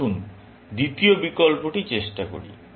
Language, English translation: Bengali, Let us try the second option